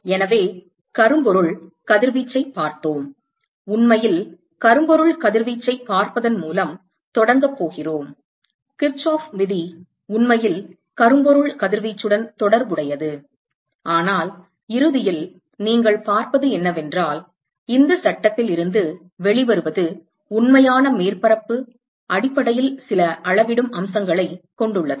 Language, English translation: Tamil, So, we had looked at blackbody radiation, in fact, we are going to start by looking at blackbody radiation Kirchhoff’s law actually relates to blackbody radiation, but eventually what you will see, what comes out of this law is essentially some quantifying aspects of the real surface